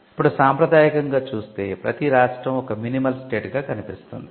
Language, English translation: Telugu, Now, traditionally the state is seen as a minimal state